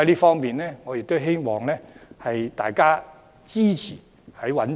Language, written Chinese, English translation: Cantonese, 故此，我希望大家支持政府覓地。, Therefore I urge Members to support the Governments effort in securing land supply